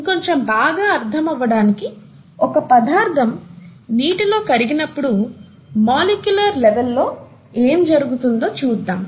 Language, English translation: Telugu, To understand that a little better let us, let us look at what happens at the molecular level when a substance dissolves in water